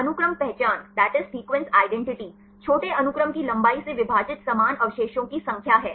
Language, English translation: Hindi, Sequence identity is the number of identical residues divided by the length of the shorter sequence